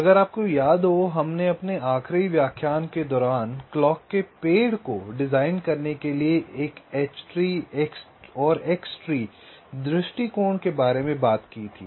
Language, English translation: Hindi, we recall, during our last lecture we talked about the h tree and x tree approaches for designing a clock tree